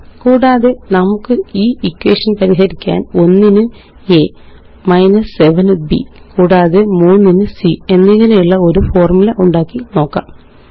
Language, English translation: Malayalam, And we can solve the equation by substituting 1 for a, 7 for b, and 3 for c in the formula